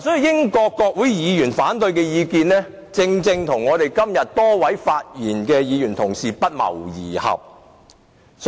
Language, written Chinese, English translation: Cantonese, 英國國會議員的反對意見，正正與今日多位同事的發言不謀而合。, The opposing views of MPs happen to coincide with the speeches delivered by a number of Members today